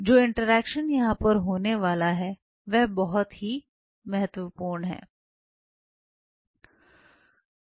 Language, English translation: Hindi, This interaction what will be happening here is very critical